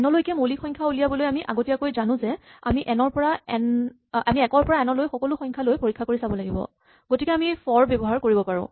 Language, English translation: Assamese, Primes up to n, we knew in advance that we have to check all the numbers from 1 to n, so we could use for